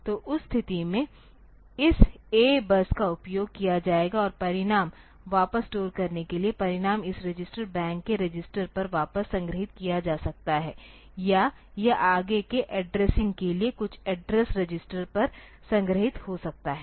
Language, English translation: Hindi, So, in that case this A bus will be utilized and for storing the result back; so, result may be stored back onto the register in this bank register or it may be onto some address register for some for further addressing